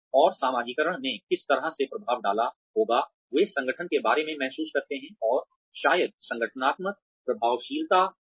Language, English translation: Hindi, And, how the socialization may have impacted the way, they feel about the organization, and maybe even organizational effectiveness